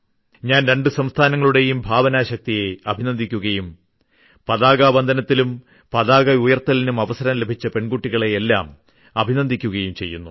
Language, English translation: Malayalam, I congratulate the imagination of these two states and also congratulate all those girls who got the opportunity to host the flag